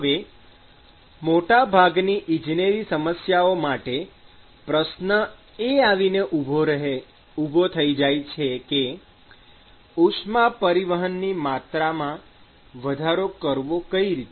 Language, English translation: Gujarati, Now the question comes in most of the engineering problems is how can I increase the total amount of heat transport